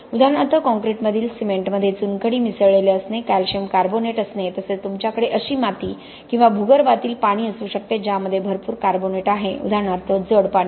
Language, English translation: Marathi, For example your concrete may have used cement that is having limestone blended in it, limestone is calcium carbonate, you may have a soil or a ground water that has got lot of carbonates in it, hard water for instance